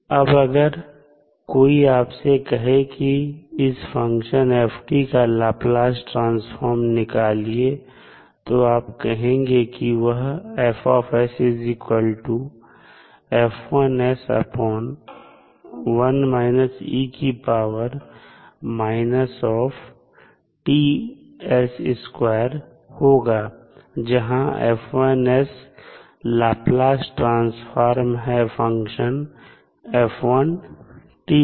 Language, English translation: Hindi, Now, if you are asked to find out the Laplace transform of f t, you will say F s is nothing but F1s upon e to the power minus T s, where F1s is the Laplace transform of first period of the function